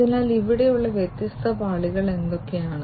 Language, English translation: Malayalam, So, what are the different layers over here